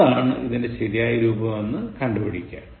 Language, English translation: Malayalam, Find out, what is the correct form